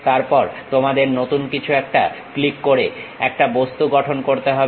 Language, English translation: Bengali, Then, you have to click something new to construct any object